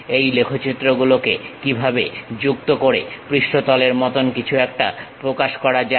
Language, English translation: Bengali, How to join these curves to represent something like a surface